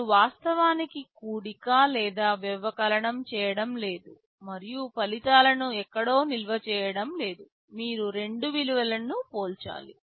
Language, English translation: Telugu, You are actually not doing addition or subtraction and storing the results somewhere, just you need to compare two values